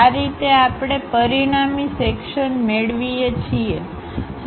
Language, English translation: Gujarati, This is the way we get resulting section